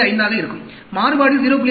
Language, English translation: Tamil, 25; the variability will be 0